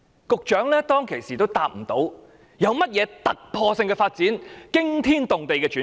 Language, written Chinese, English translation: Cantonese, 局長當時也無法回答，說明有甚麼突破性的發展和驚天動地的轉變。, The Secretary was unable to give any answer at the time to show any coruscating developments and phenomenal changes